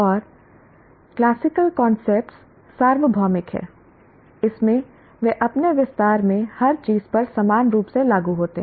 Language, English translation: Hindi, And the classical concepts are universal in that they apply equally to everything in their extension